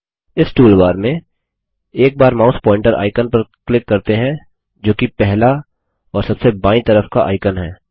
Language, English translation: Hindi, In this toolbar, let us click once on the mouse pointer icon which is the first and the leftmost icon